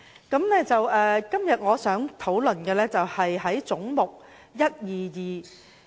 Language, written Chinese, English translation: Cantonese, 今天，我想討論的是總目122。, Today I would like to talk about head 122